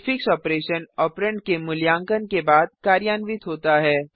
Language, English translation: Hindi, The prefix operation occurs before the operand is evaluated